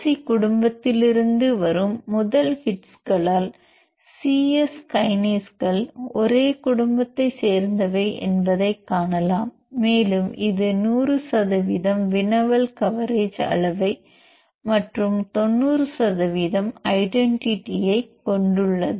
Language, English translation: Tamil, So, in this list you can see the first hit that comes from the Src family even the c Yes kinases also belongs to the same family and it has the score and query overage good score query coverage of 100 percent and identities about 90 percent